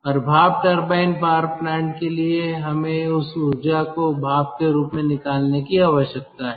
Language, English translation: Hindi, and for steam turbine power plant, ah, we need to um ah, extract this energy in the form of a steam